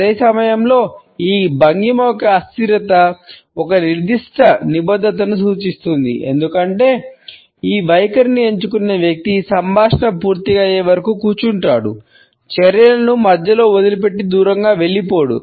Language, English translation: Telugu, At the same time the immobility of this posture suggest a certain commitment because the person who is opted for this stance would sit through the conversation, would not leave the negotiations in the middle and walk away